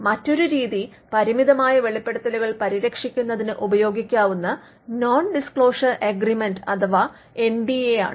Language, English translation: Malayalam, Another strategy is to use nondisclosure agreements NDAs, which can be used to protect limited disclosures